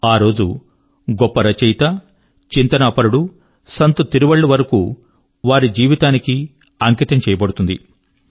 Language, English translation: Telugu, This day is dedicated to the great writerphilosophersaint Tiruvalluvar and his life